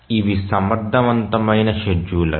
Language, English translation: Telugu, So, these are efficient scheduler